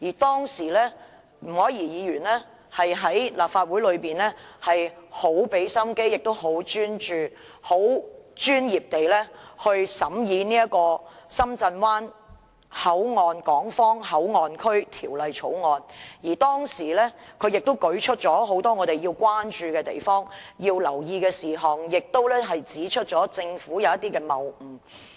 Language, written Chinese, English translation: Cantonese, 當時前議員吳靄儀在立法會花了很多心機，專注而專業地審議《深圳灣口岸港方口岸區條例草案》，舉出了很多應關注及留意的事項，並指出了政府的一些謬誤。, Back then former Member Dr Margaret NG made a lot of efforts in the Legislative Council to scrutinize the Shenzhen Bay Port Hong Kong Port Area Bill with great devotion and professionalism raising many issues that warranted concern and attention and also pointing out some fallacies on the part of the Government